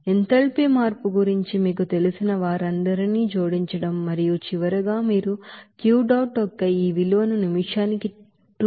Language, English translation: Telugu, So adding up all those you know enthalpy change and after you know balancing that finally you can have this value of Q dot will be is equal 2110